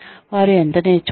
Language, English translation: Telugu, How much have they learned